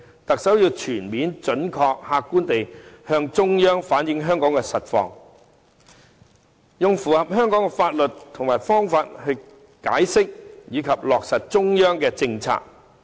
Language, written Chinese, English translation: Cantonese, 特首要全面、準確和客觀地向中央反映香港的實況，用符合香港的法律及方法解釋及落實中央的政策。, The Chief Executive should comprehensively accurately and objectively relay Hong Kongs situation to the Central Authorities and explain and implement policies promulgated by the Central Authorities through means that comply with the law in Hong Kong